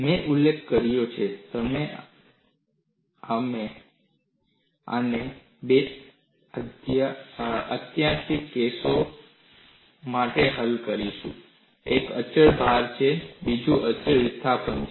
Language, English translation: Gujarati, As I mentioned, we would solve this for two extreme cases: one is a constant load; another is a constant displacement